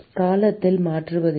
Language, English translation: Tamil, It does not change with time